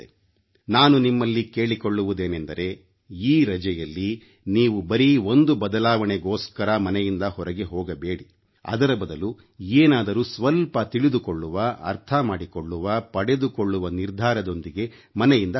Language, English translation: Kannada, I would request that during these vacations do not go out just for a change but leave with the intention to know, understand & gain something